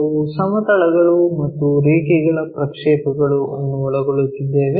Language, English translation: Kannada, We are covering Projection of Planes and Lines